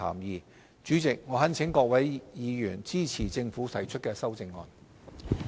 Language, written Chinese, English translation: Cantonese, 代理主席，我懇請各位委員支持政府提出的修正案。, Deputy Chairman I urge Members to support the amendments proposed by the Government